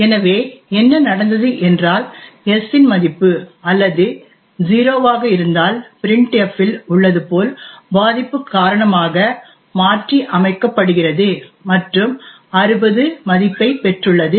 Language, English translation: Tamil, So what has happened is that the value of s or which is supposed to be 0 has been modified due to the vulnerability present in printf and has obtained a value of 60